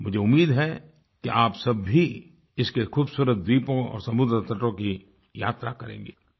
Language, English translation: Hindi, I hope you get the opportunity to visit the picturesque islands and its pristine beaches